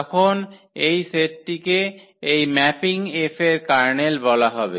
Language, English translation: Bengali, So, then this set will be called the kernel of this mapping F